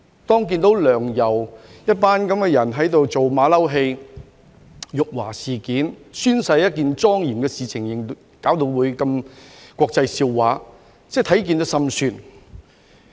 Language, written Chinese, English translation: Cantonese, 當看到"梁游"這樣一幫人在這裏做"馬騮戲"，搞出辱華事件，把宣誓這麼一件莊嚴的事情弄成如此國際笑話，實在心酸。, It was really heartbreaking to see a bunch of individuals like LEUNG and YAU putting on a monkey show here to insult China . The incident turned the solemn event of oath - taking into such an international laughing stock